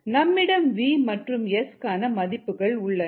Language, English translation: Tamil, we have v and s